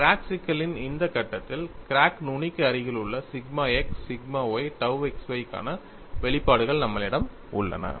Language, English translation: Tamil, At this stage of the crack problem, we have the expressions for sigma x sigma y dou x y in the near vicinity of the crack tip